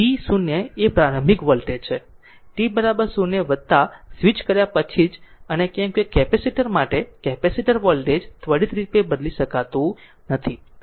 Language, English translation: Gujarati, So, v 0 is the initial voltage at say t is equal to 0 plus just after switching and because capacitor to capacitor the voltage cannot change instantaneously